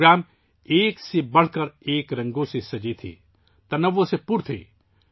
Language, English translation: Urdu, These programs were adorned with a spectrum of colours… were full of diversity